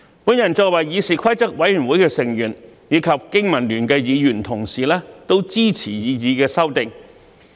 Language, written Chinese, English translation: Cantonese, 我作為議事規則委員會成員，以及香港經濟民生聯盟的議員同事也支持擬議修訂。, I as a member of CRoP and my colleagues from the Business and Professionals Alliance of Hong Kong BPA also support the proposed amendments